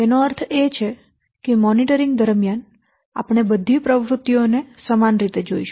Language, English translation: Gujarati, That means during monitoring we are treating all the activities as the similar footing